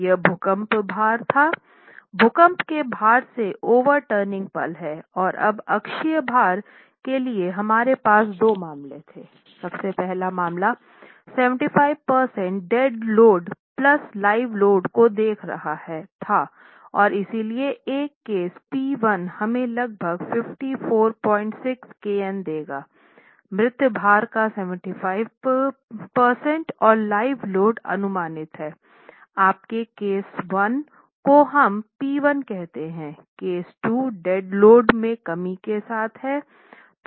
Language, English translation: Hindi, What are the axial load cases that was the earthquake load we had the overturning moment from the earthquake load and now for the axial load we had two cases the first case was looking at 75% of dead load plus live load and therefore our case P1 would give us about 54